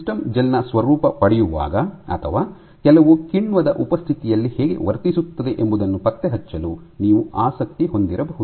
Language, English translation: Kannada, You might also be interested in tracking how a system behaves while it gels or in the presence of some enzyme